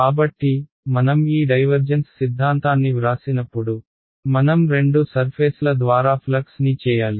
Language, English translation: Telugu, So, when I write down this divergence theorem, I have to right down the flux through both surfaces right